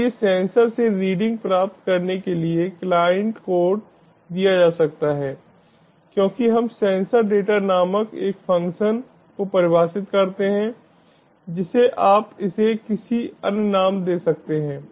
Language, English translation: Hindi, so the client code for obtaining readings from the sensor can be given as we define a function called sensor data